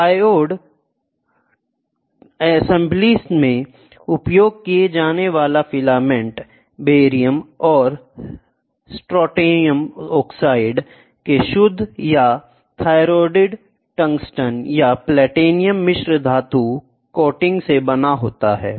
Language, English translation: Hindi, The filament used in triode assembly is made of pure or thoriated tungsten or platinum alloy coating of barium and strontium oxide